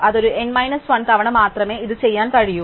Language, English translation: Malayalam, So, I can only do this deletion n minus one times